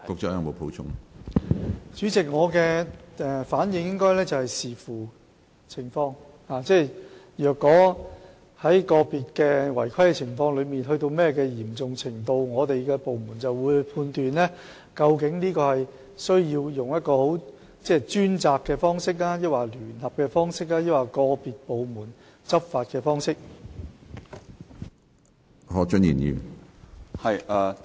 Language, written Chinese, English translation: Cantonese, 主席，我的答覆是要視乎情況，即如果個別的違規情況達到嚴重程度，我們的部門便會判斷究竟應採用專責小組的方式、聯合的方式，還是由個別部門執法的方式處理。, President my reply is that it depends on the circumstances . If the irregularity in any individual case is serious our department will determine whether it should be handled by forming a task force conducting a joint operation or enforcement by individual departments